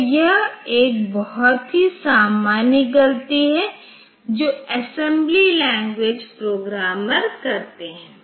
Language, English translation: Hindi, So, this is this is a very common mistake that has been detected for the assembly language programmers